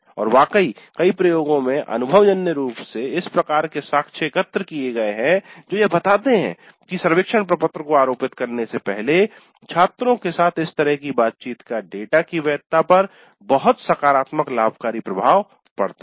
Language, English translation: Hindi, In fact, in many of the experiments, empirically evidence has been gathered that such a interaction with the students before administering the survey form has very positive beneficial impact on the validity of the data